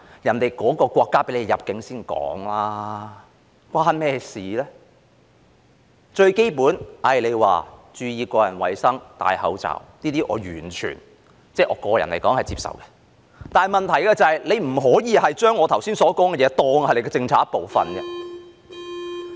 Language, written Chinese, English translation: Cantonese, 注意個人衞生、佩戴口罩等最基本的措施，我個人來說完全接受，但問題是不可以將我剛才所說的事情，當成政府政策的一部分。, How will it make any difference? . The most basic measures such as paying attention to personal hygiene and wearing masks are totally acceptable to me but the problem is that what was mentioned by me just now cannot be regarded as part of the Governments policy